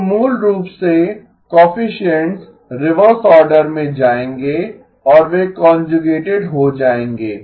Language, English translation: Hindi, So basically the coefficients will go in reverse order and they will get conjugated